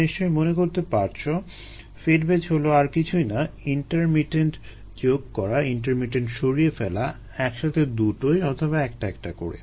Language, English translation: Bengali, as you recall, fed batch is nothing but intermittent condition, intermittent removal together or one at a time